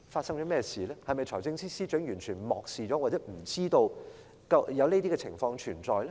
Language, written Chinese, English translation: Cantonese, 是否財政司司長完全漠視了或不知道有這些問題存在？, Is FS completely negligent or unaware of the existence of these problems?